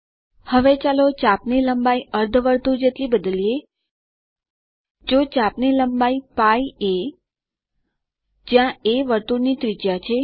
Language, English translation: Gujarati, Now lets change the length of this arc to that of a semi circle, so the arc length is [π a], where a is the radius of the circle